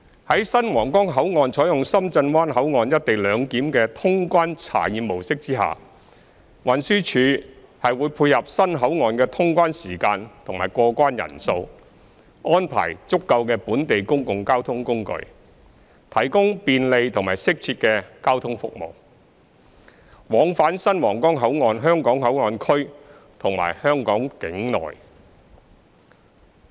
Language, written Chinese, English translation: Cantonese, 在新皇崗口岸採用深圳灣口岸"一地兩檢"的通關查驗模式下，運輸署會配合新口岸的通關時間及過關人數，安排足夠的本地公共交通工具，提供便利及適切的交通服務，往返新皇崗口岸香港口岸區和香港境內。, With the adoption of Shenzhen Bay Ports co - location arrangement as the customs clearance model for the new Huanggang Port the Transport Department TD will dovetail with the operating hours of customs clearance services and the number of passengers receiving customs clearance at the new port and arrange for the adequate provision of local public transport services so as to provide convenient and appropriate transport services for connection between the Hong Kong Port Area of the new Huanggang Port and places within the Hong Kong territory